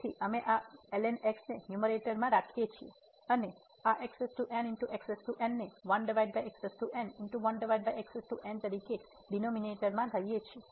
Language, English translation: Gujarati, So, we keep this in the numerator and bring this power as over power in the denominator